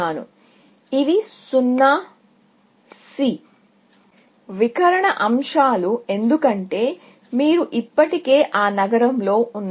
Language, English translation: Telugu, So, these are 0s; the diagonal elements, because you are already in that city